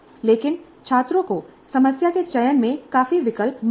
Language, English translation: Hindi, But students do get considerable choice in the selection of the problem